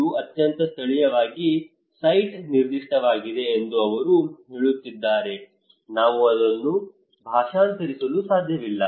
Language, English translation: Kannada, They are saying that is very localised site specific we cannot translate that one